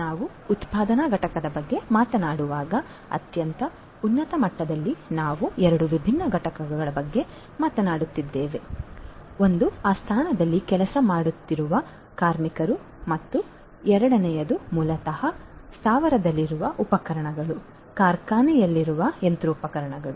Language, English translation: Kannada, When we are talking about a manufacturing plant, at a very high level we are talking about 2 distinct entities one is the workers who are working in that plant and second is basically the equipments that are there in the plant, the machineries that are there in the plant